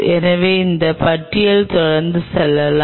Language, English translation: Tamil, so this list can go on and on